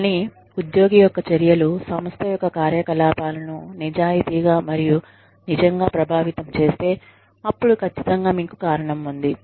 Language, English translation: Telugu, But, if the employee's actions, genuinely and truly affect the operations of the organization, then definitely, you have just cause